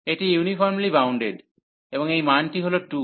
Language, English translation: Bengali, This is uniformly bounded, and this value is 2